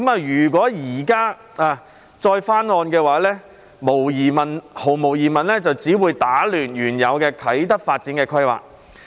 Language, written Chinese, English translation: Cantonese, 如果現時再翻案，毫無疑問只會打亂原有的啟德發展規劃。, If the old proposal is revisited now it will undoubtedly disrupt the original planning for the development of Kai Tak